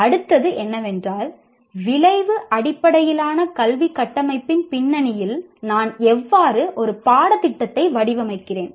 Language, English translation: Tamil, The next one is how do I design a course in the context of outcome based education framework